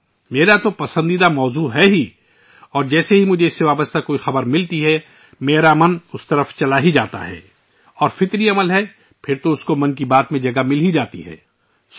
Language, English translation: Urdu, It of course is my favorite topic as well and as soon as I receive any news related to it, my mind veers towards it… and it is naturalfor it to certainly find a mention in 'Mann Ki Baat'